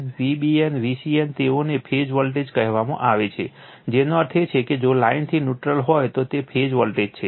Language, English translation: Gujarati, Therefore, V a n, V b n, V c n they are called phase voltages that means, if line to neutral, then it is phase voltages